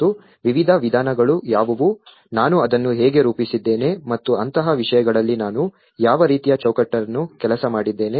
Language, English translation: Kannada, And what are the various approaches, how I framed it and what kind of framework I worked on things like that